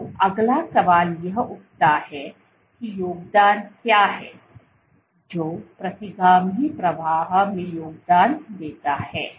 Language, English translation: Hindi, So, the question that arises next is what is contributing, what contributes to retrograde flow